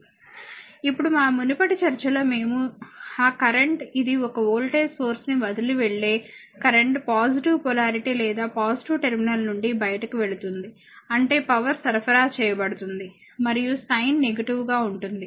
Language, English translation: Telugu, Now, previous when our previous discussion we are seen that, when that your current leaving the this is a voltage source current leaving the your positive polarity or positive terminal; that means, power is supplied and sign will be negative right